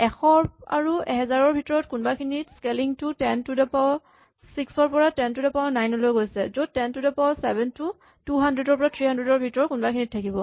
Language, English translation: Assamese, So, somewhere between 100 and 1000 the scaling goes from 10 to the 6 to 10 to the 9, so where 10 to the 7 will be somewhere around 200 or 300